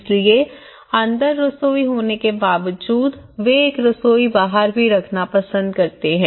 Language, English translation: Hindi, So, in despite of having a kitchen inside but still, they prefer to have it outside as well